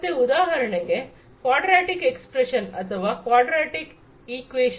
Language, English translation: Kannada, So for example, a quadratic expression or quadratic equation rather, you know